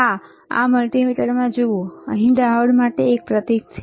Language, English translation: Gujarati, Yes, you see in this multimeter, there is a symbol for diode here